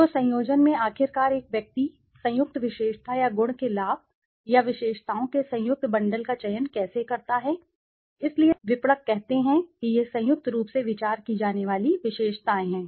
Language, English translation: Hindi, So, in the combination finally how does a person select a combined attribute or benefit of attribute or combined bundle of attributes, so features considered jointly, marketers say it is as features considered jointly